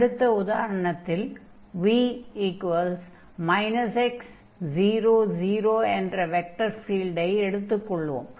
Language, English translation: Tamil, So, for instance, if we take the vector field here, v is equal to x and 0, 0